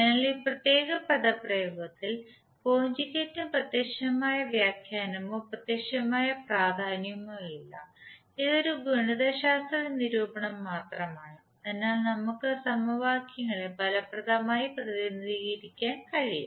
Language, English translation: Malayalam, So the conjugate is not having any physical interpretation or physical significance in this particular depression this is just a mathematical representation, so that we can represent the equations effectively